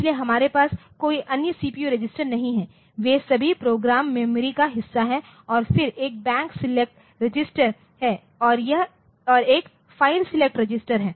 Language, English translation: Hindi, So, we do not have to there is no other CPU register as such so they are all part of the program memory and then there is a Bank select registered and there is a file select register